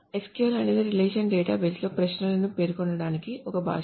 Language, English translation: Telugu, So SQL is a language to specify queries in a relational database